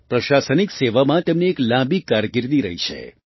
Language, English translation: Gujarati, He had a long career in the administrative service